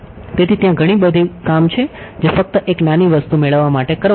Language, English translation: Gujarati, So, there is a lot of work thatt needs to be done to just get one small thing